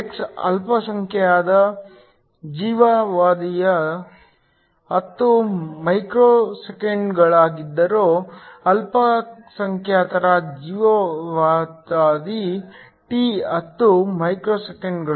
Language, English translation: Kannada, If the x is minority life time is 10 microseconds, so the minority life time τ is 10 microseconds